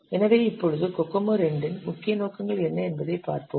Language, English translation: Tamil, So now let's see what are the main objectives of Kokomo 2